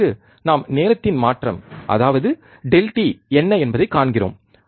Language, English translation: Tamil, And then we see this what is the change in time that is delta t